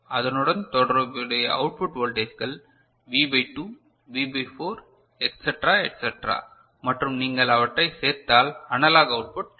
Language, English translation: Tamil, And corresponding output voltages are V by 2, V by 4 etcetera etcetera and if you have add them up you get the analog output, is it ok